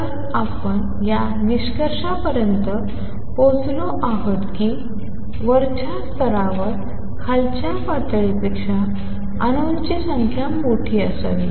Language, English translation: Marathi, So, this is what we have come to the conclusion that the upper level should have number of atoms larger than those in lower level